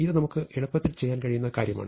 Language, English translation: Malayalam, So, this is something that we can easily do